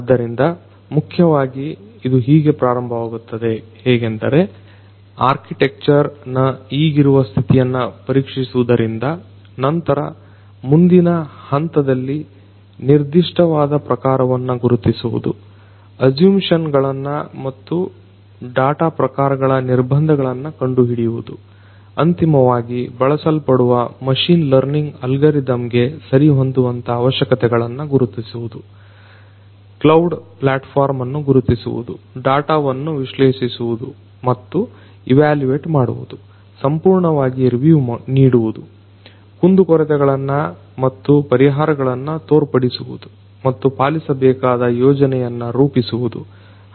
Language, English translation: Kannada, So, basically it starts like this that it starts with examining the current state of the architecture, thereafter the next step is going to be identifying the specific data type, finding the assumptions and constraints of the data types, identifying the requisite the suitable the targeted machine learning algorithm that is applicable, identifying the cloud platform analyzing and evaluating the data, providing a top down review and illustrating the context limitations and solutions and creating a roadmap